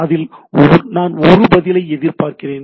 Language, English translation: Tamil, On that I expect a response on the things right